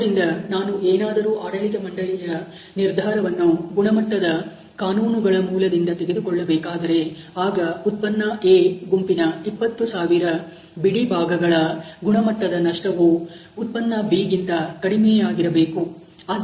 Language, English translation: Kannada, Therefore, if I wanted to take management decision on the bases of quality laws, so quality loss for the lot of 20000 units of product A is obviously less than that of B